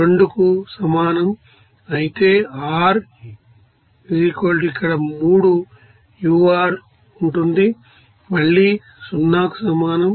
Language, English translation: Telugu, 52 whereas, r = here 3 that ur will be is equal to again 0